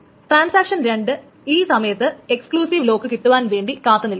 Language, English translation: Malayalam, So transaction 2 at this point will keep on waiting for the exclusive lock